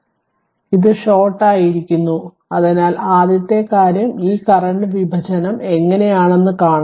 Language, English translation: Malayalam, So, and this is shorted so first thing is you have to see that how this current division are right